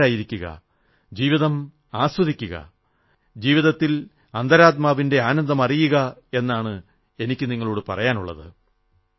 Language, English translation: Malayalam, All I would like to say to you is 'Be calm, enjoy life, seek inner happiness in life